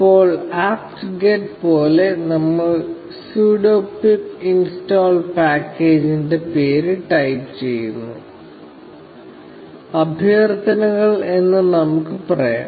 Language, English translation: Malayalam, Now, similar to apt get, we type sudo pip install package name; let us say, requests